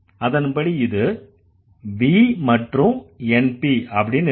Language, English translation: Tamil, So, this will again go to NP and VP